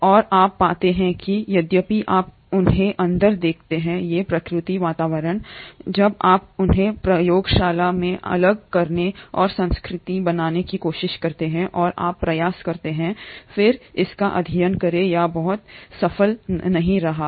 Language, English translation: Hindi, And you find that although you see them in these natural environments, when you try to isolate and culture them in the lab and you try to then study it, it has not been very successful